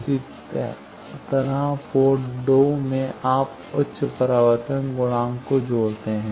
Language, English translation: Hindi, Similarly in port 2 you connect high reflection coefficient